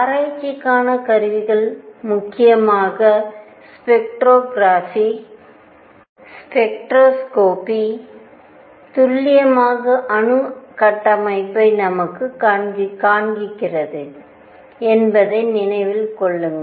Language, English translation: Tamil, The tools for investigation are mainly spectroscopy, spectroscopy remember this is precisely what gave us the atomic structure the level structure